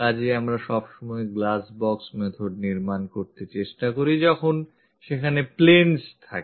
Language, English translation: Bengali, So, all the time, we are trying to construct this glass box method, where there are transparent planes